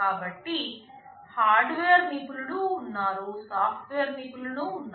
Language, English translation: Telugu, So, there are hardware experts, there are software experts